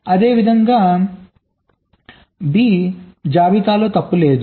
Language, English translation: Telugu, similarly, b, there is no fault in this list